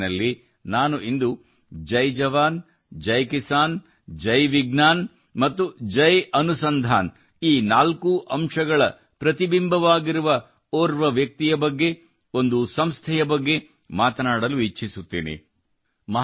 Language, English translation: Kannada, In 'Mann Ki Baat', today's reference is about such a person, about such an organization, which is a reflection of all these four, Jai Jawan, Jai Kisan, Jai Vigyan and Jai Anusandhan